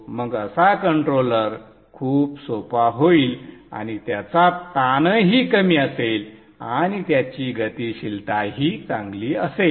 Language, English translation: Marathi, Then such a controller will be much simpler and it will also have less strain and it will also have better dynamics